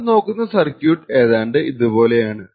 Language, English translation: Malayalam, The circuit that we will actually look, looks something like this way